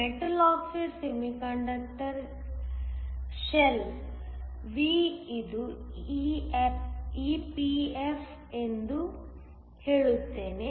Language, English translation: Kannada, Let me say metal oxide semiconductor shell V this is EPF